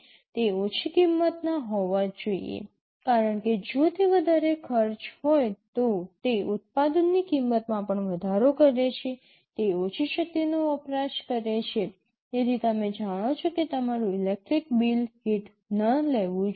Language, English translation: Gujarati, It must be low cost because if it is of a higher cost it also increases the cost of the product, it must consume low power, so you know your electric bill should not take a hit